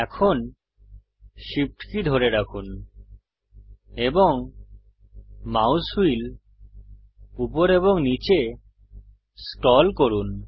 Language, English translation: Bengali, Now, hold SHIFT and scroll the mouse wheel up and down